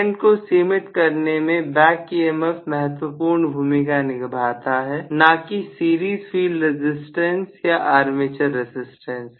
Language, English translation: Hindi, The major player in limiting the current is the back emf, not really the series field resistance or armature resistance